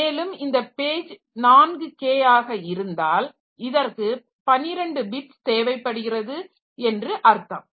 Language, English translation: Tamil, So, if each page is 4K that means this requires 12 bits